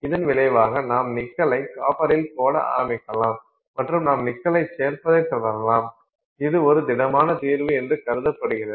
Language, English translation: Tamil, And as a result you can start putting nickel into copper and you can keep on adding nickel, it is called a solid solution